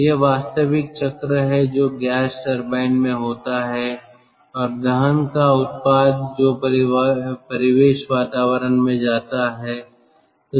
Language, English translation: Hindi, so this is the actual cycle: which ah is there in a gas turbine and the product of combustion that goes to the ambient atmosphere